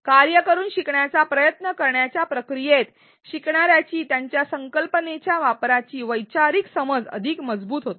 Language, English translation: Marathi, In the process of attempting a learning by doing task, a learners conceptual understanding their application of the concept becomes stronger